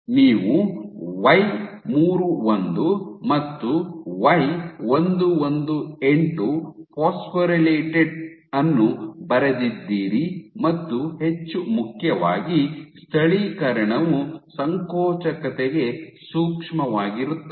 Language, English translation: Kannada, So, you had wrote Y31 and Y118 phosphorylated and more importantly it is localization was sensitive to contractility